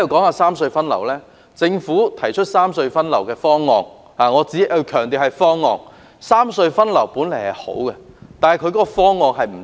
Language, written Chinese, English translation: Cantonese, 我強調，政府所提出的"三隧分流"方案只是一個"方案"，其原意雖好卻不可行。, I have to stress that the Governments proposal for the rationalization of traffic distribution among the three RHCs is merely a proposal which is not feasible despite its good intention